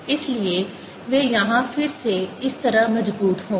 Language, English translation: Hindi, so they'll go like this: strong again here